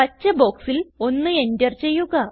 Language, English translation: Malayalam, Enter 1 in the green box